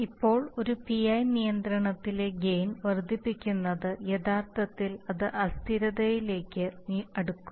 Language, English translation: Malayalam, Now increase the gain in a PI control will actually take it closer to instability